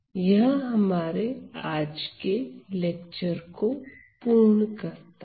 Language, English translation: Hindi, Now, that completes our lecture today